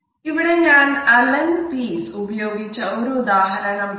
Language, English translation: Malayalam, Here I have quoted an example, which have been used by Allan Pease